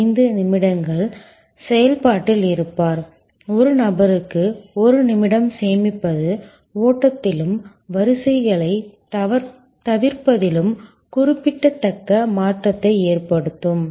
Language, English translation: Tamil, 75 minutes, saving of 1 minute per person can make a remarkable difference in the flow and in avoidance of queues